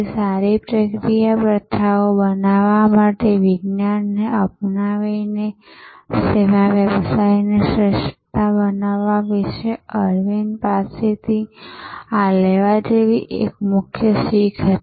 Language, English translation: Gujarati, So, this was one major learning from Aravind about creating service business excellence by adopting good science to create good process practices